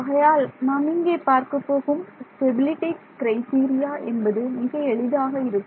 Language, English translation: Tamil, So, the stability criteria that we will look at is something very simple